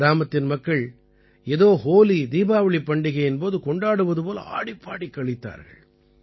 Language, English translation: Tamil, The people of the village were rejoicing as if it were the HoliDiwali festival